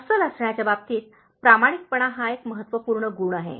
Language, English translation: Marathi, In terms of being genuine, honesty is a very important trait